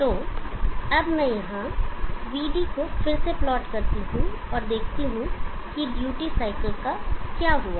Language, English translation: Hindi, So now let me plot VD again here and see what is happened to the duty cycle